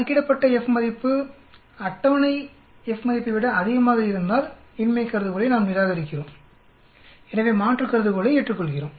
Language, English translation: Tamil, If the F value calculated is greater than the table, we reject the null hypothesis, hence accept the alternate hypothesis